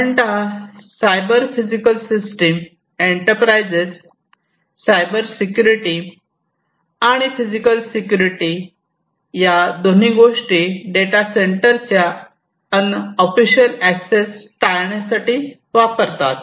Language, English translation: Marathi, So, what happens is that in the case of a cyber physical system enterprises use Cybersecurity and physical security simultaneously against unofficial access to data centers